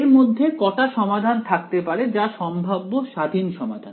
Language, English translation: Bengali, So, how many solutions are possible independent solutions